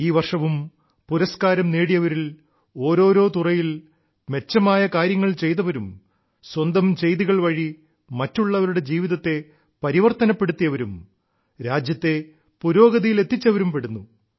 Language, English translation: Malayalam, This year too, the recipients comprise people who have done excellent work in myriad fields; through their endeavour, they've changed someone's life, taking the country forward